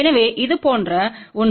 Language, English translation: Tamil, So, something like that